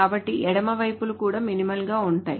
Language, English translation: Telugu, So the left sides are also in some sense minimal